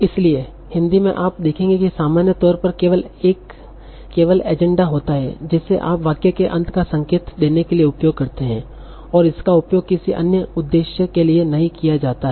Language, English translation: Hindi, So in Hindi you will see that in general there is only a danda that you use to indicate the end of the sentence and this is not used for any other purpose